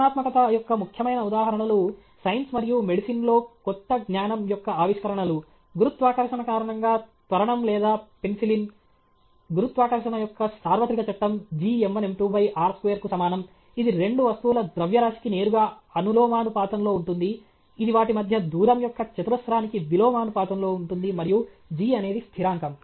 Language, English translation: Telugu, Important instances of creativity; discoveries of new knowledge in science and medicine discovery of penicillin okay or acceleration due to gravity, universal law of gravitation okay, f equal to g m 1 m 2 by r square okay, it is directly proportional to the mass of the two objects, it is inversely proportional to the square of the distance between them and the constant is g okay